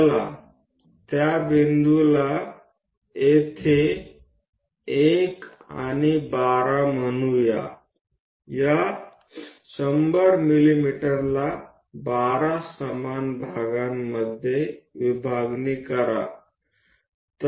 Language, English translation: Marathi, Let us call that point 1 here, and 12 divide this 100 mm into 12 equal divisions